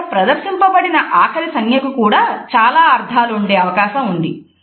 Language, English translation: Telugu, The last sign which is displayed over here also may have different interpretations